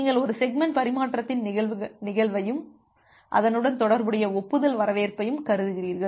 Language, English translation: Tamil, So, you consider the event of a segment transmission and the corresponding acknowledgement reception